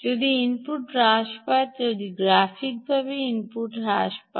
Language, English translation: Bengali, if input reduces, if input reduces graphically, you have to keep your ah